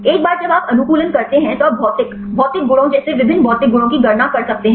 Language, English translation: Hindi, Once you optimize then you can calculate the physicochemical properties like various physicochemical properties